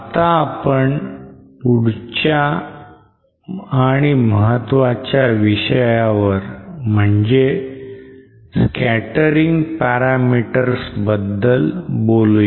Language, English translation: Marathi, Let us now go to the next and main topic of our discussion here which is the scattering parameters